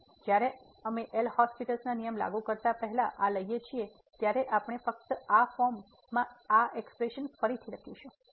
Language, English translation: Gujarati, So, when we take this when before we applying the L’Hospital rule we just rewrite this expression in this form